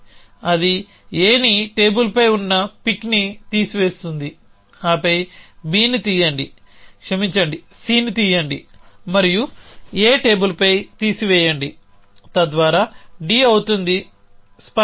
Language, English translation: Telugu, To pick up B I have to remove A so it will remove A pick it on the table then pick up B sorry pick up C and remove it on A table so that D becomes clear